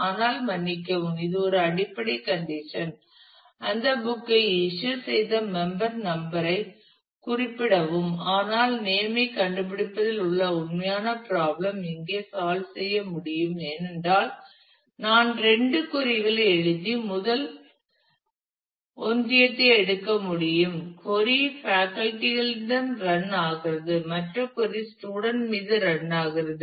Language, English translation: Tamil, But, I am sorry this is a basic condition which say the specify the member number who has issued that book, but the actual problem of finding the name can be solved here, because I can I write two queries and take a union of the first query runs on faculty the other query runs on student